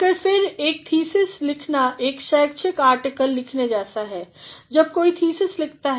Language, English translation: Hindi, But, then a thesis writing is similar to an academic article when somebody writes a thesis